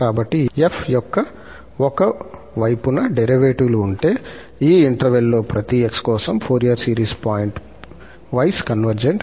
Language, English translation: Telugu, So, if appropriate one sided derivatives of f exist then, for each x in this interval, the Fourier series is pointwise convergent